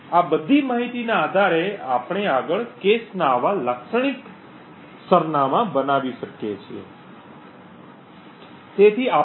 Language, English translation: Gujarati, Based on all of this information we can next construct a typical address of such a cache